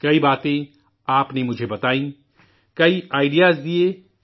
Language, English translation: Urdu, There were many points that you told me; you gave me many ideas